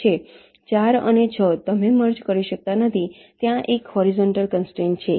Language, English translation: Gujarati, four and six: you cannot merge, there is a horizontal constraint